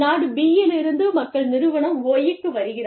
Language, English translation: Tamil, People from Country B, are coming to Firm Y